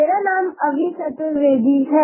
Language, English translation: Hindi, "My name is Abhi Chaturvedi